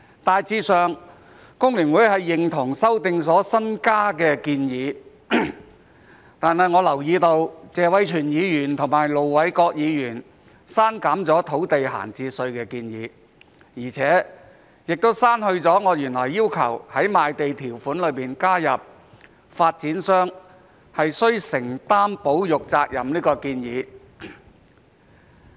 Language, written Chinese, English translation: Cantonese, 大致上，工聯會認同修正案的新增建議，但我留意到謝偉銓議員和盧偉國議員刪減了土地閒置稅的建議，也刪去了我原來要求在賣地條款中加入發展商須承擔保育責任的建議。, Generally speaking FTU agrees with the newly added proposals in the amendments but I have noted that both Mr Tony TSE and Ir Dr LO Wai - kwok have deleted the proposals of introducing an idle land tax and adding the requirement for developers to undertake conservation responsibilities in the land sale conditions